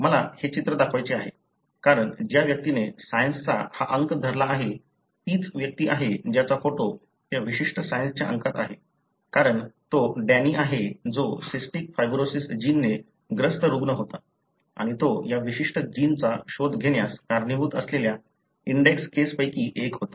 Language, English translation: Marathi, I wish to show this picture, because the person who is holding this issue of Science is the same person, who’s photograph is in the issue of that particular Science, because he is Danny who happened to be a patient suffering from cystic fibrosis gene and he was one of the index cases that led to the discovery of this particular gene